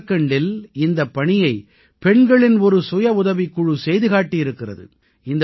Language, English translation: Tamil, A self help group of women in Jharkhand have accomplished this feat